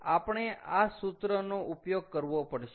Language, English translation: Gujarati, so ok, so we have to use this formula